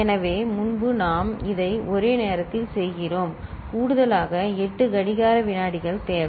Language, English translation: Tamil, So, earlier we are doing it at one go here we require 8 clock seconds to complete addition